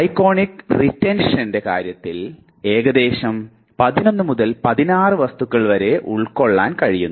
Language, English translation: Malayalam, So, approximately somewhere between 11 to 16 items can be held in terms of iconic retention